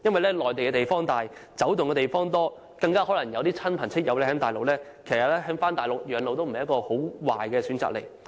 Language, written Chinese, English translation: Cantonese, 內地面積廣闊，活動空間大，更可能有親友在內地居住，返回內地養老亦不是一個壞的選擇。, The Mainland covers a vast area with much space . As elderly people may also have relatives and friends on the Mainland spending their final years on the Mainland may not be a bad choice for them